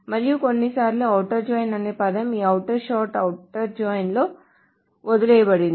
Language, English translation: Telugu, And sometimes the word outer join, this outer part, outer join, the outer part is omitted